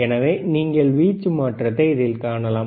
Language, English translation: Tamil, So, this is how you can see the change in the amplitude,